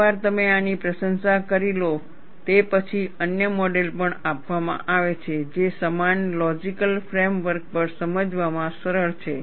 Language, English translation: Gujarati, Once you have appreciated this, there are also other models, that are given, which are easy to understand, on a similar logical frame work